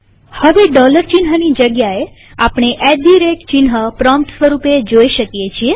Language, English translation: Gujarati, Now instead of the dollar sign we can see the at the rate sign as the prompt